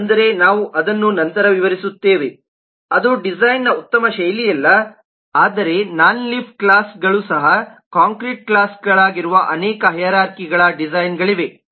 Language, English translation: Kannada, that is not a very good style of design, but there are many hierarchies where non leaf classes are also concrete classes